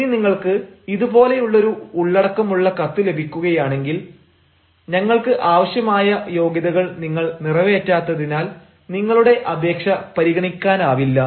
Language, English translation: Malayalam, say, if you get a letter which has the content like this: your application cannot be entertained as you do not fulfill our required qualification